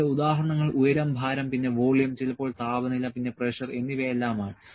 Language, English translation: Malayalam, These examples here can be height, weight, then volume, sometimes temperature, then pressure all those things